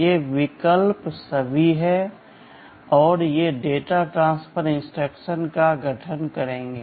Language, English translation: Hindi, These options are all there, and these will constitute data transfer instructions